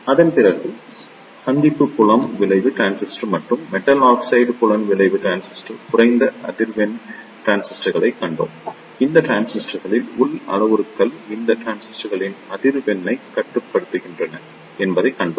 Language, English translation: Tamil, After that we saw the low frequency transistors that are Junction Field Effect Transistor and the Metal Oxide Field Effect Transistor and we saw that the internal parameters of these transistors limit the frequency of these transistor